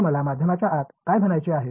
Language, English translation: Marathi, So, what do I mean by inside the medium